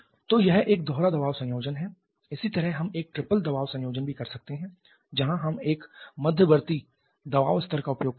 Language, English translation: Hindi, So, this dual pressure combination similarly we can also have a triple pressure combination where we shall be using an intermediate pressure level as well